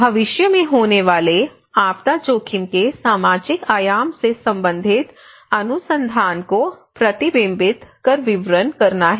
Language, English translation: Hindi, To reflect and report on future research directions relating to the social dimension of disaster risk